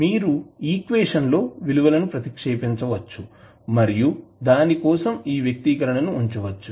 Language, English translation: Telugu, You can put the values in the equation and this expression for it